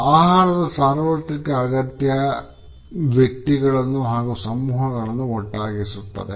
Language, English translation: Kannada, The universal need for food ties individuals and groups together